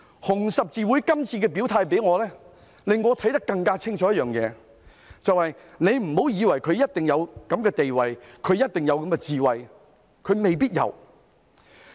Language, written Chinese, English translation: Cantonese, 紅十字會今次的表態令我看得更加清楚一件事，就是不要以為有一定地位便有一定的智慧，其實未必如此。, HKRCs statement has made one thing clearer to me and that is we should not assume that having a certain position means having equivalent wisdom . Indeed it is not necessarily the case